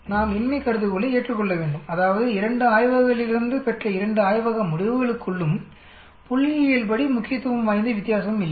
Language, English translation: Tamil, We need to accept the null hypothesis that means, there is no statistical significant difference between the two labs results from both the labs